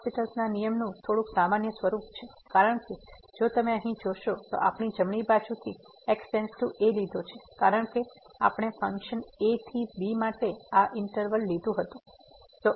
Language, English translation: Gujarati, There is a slightly more general form of this L’Hospital’s rule, because if we note here that we have taken to from the right side because we had taken this interval for the functions to